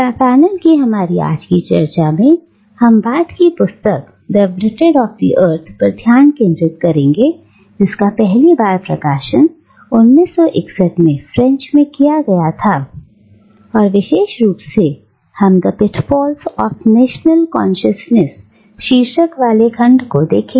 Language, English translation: Hindi, In our discussion of Fanon today, we will be focusing on the later of the two books, The Wretched of the Earth, which was first published in French in 1961 and, more specifically, we will be looking at the section titled "The Pitfalls of National Consciousness